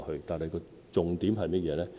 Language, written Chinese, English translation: Cantonese, 但是，重點是甚麼呢？, However what is the salient point?